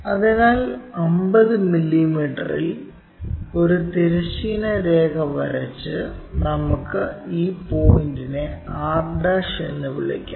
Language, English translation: Malayalam, So, at 50 mm draw a horizontal line and let us call this point as r'